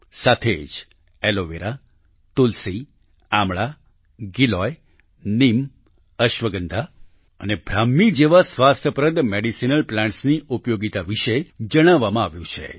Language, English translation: Gujarati, Along with this, the usefulness of healthy medicinal plants like Aloe Vera, Tulsi, Amla, Giloy, Neem, Ashwagandha and Brahmi has been mentioned